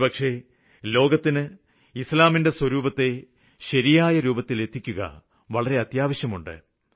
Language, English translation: Malayalam, I think it has become imperative to present Islam in its true form to the world